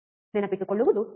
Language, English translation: Kannada, It is easy to remember